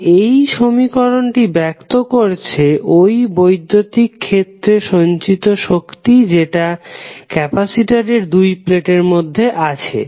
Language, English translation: Bengali, So, now this equation represents energy stored in the electric field that exists between the 2 plates of the capacitor